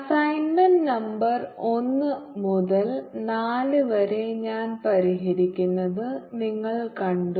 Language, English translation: Malayalam, you seen the solving assignment number through four so far